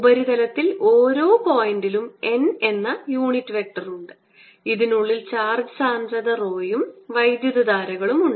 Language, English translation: Malayalam, i'll need both these, so i am specifying these on the surface there is this unit, vector n, at each point, and inside this is charge, density, rho, and there are currents